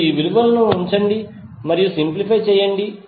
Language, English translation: Telugu, You just put the value and simplify it